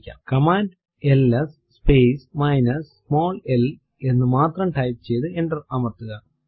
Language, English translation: Malayalam, Just type the command ls space minus small l and press enter